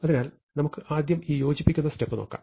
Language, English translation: Malayalam, So, let us first look at this combining step